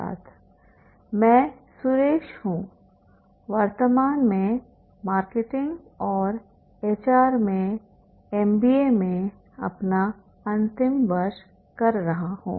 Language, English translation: Hindi, I am Ski, currently doing my final year in MBA and marketing and HR